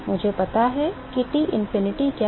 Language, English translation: Hindi, I know what is T infinity